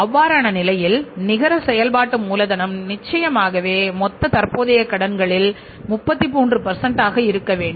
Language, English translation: Tamil, In that case the networking capital has to be certainly 33% of the total current liabilities